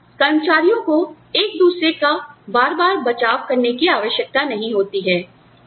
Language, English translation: Hindi, Where employees, do not need to cover for, one another, frequently